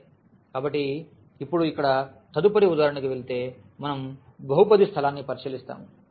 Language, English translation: Telugu, Well, so, now going to the next example here we will consider the polynomial space